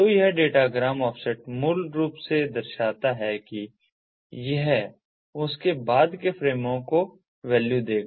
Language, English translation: Hindi, so this datagram offset basically shows that it will give the value of what are the subsequent frames that are there